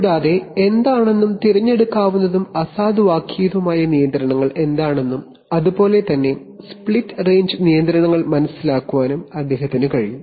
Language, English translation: Malayalam, Additionally he will also be able to understand what are, what are selective and override controls and similarly for split range controls